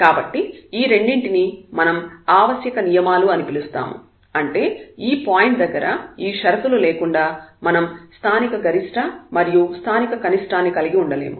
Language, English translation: Telugu, So, this is what we are calling necessary conditions; that means, without these conditions we cannot have the local maximum and local minimum at this point